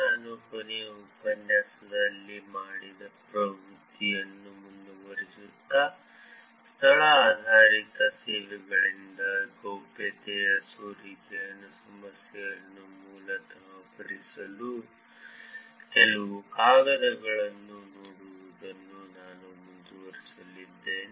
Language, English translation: Kannada, Continuing the trend that I did last lecture, I am going to continue actually looking at some papers which are basically addressing the problem of privacy leakages from location based services